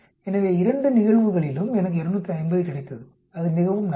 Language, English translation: Tamil, So I got 250 in both the cases that is very good